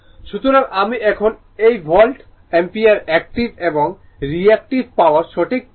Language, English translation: Bengali, So, you will read this now ah volt ampere active and reactive power right